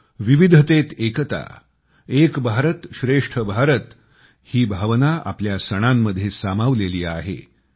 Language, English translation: Marathi, Our festivals are replete with fragrance of the essence of Unity in Diversity and the spirit of One India Great India